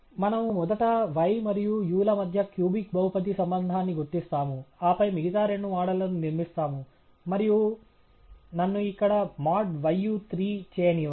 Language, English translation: Telugu, We will first identify the cubic polynomial relationship between y and u, and then build the other two models, and let me do that here